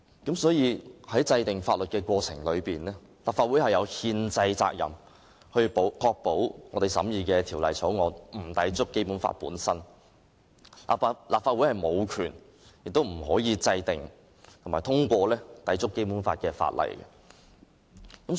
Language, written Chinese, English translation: Cantonese, 因此，在制定法律的過程中，立法會有憲制責任確保我們審議的法案不會抵觸《基本法》，立法會無權亦不可以制定和通過抵觸《基本法》的法例。, Therefore in enacting laws the Legislative Council has the constitutional responsibility to ensure that the bills we are scrutinizing will not contravene the Basic Law . The Legislative Council has no right to and cannot enact and pass legislation that contravenes the Basic Law